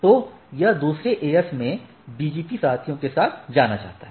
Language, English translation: Hindi, So, this has to be known to the BGP peers in the other AS